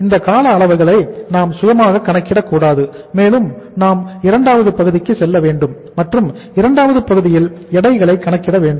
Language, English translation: Tamil, We are not to calculate these durations ourself and we have to go for the second part and second part is the calculation of the weights